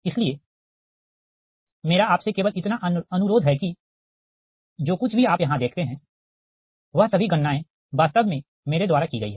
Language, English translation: Hindi, ah, so many calculations, whatever you see here, all calculations actually have been done by me, right